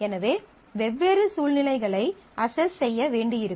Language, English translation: Tamil, So, different situations will have to be assessed